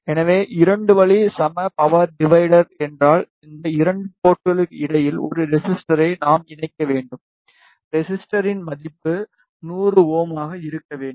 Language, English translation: Tamil, So, in case of 2 way equal power divider, we should attach a resistor between these 2 port, the value of the resistor should be 100 ohm